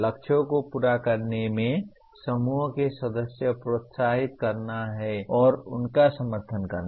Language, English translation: Hindi, Encourage and support group members in meeting the goals